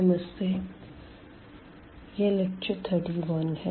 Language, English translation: Hindi, So, this is lecture number 31